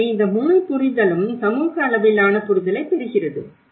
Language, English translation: Tamil, So, this whole understanding the community level understanding